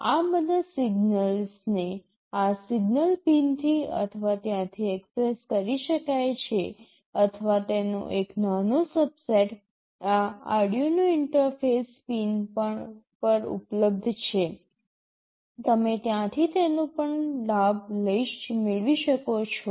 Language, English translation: Gujarati, All these signals can be accessed either from these signal pins, or a small subset of that is available over these Arduino interface pins, you can also avail it from there